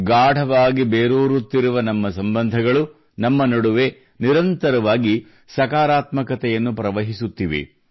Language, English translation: Kannada, And our ever deepening bonds are creating a surge of a flow of constant positivity within us